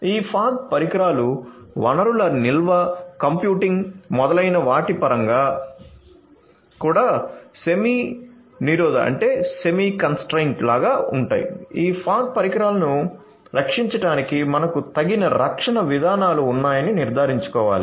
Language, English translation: Telugu, So, these fog devices because they are also like semi constrained in terms of resources storage computing etcetera will have to ensure that we have some you know suitable protection mechanisms in place for protecting these fog devices